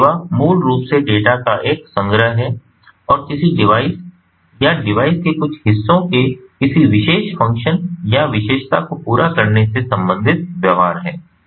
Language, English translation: Hindi, so service is basically a collection of data and the associated behaviors to accomplish a particular function or feature of a device or portions of a device